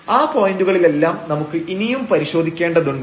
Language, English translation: Malayalam, So, at all these points we need to further investigate